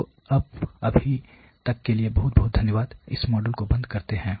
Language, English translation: Hindi, So, as of now thank you very much, we close this module